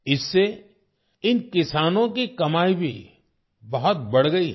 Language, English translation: Hindi, This has also enhanced the income of these farmers a lot